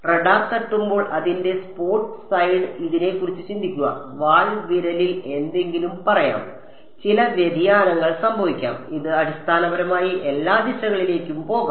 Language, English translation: Malayalam, There could be because think of this the spot size of the of the radar being when it hits let us say the tail finger something, some diffraction can happen it can go in basically all directions